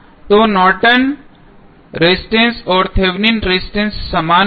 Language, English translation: Hindi, So, Norton's resistance and Thevenin resistance would be same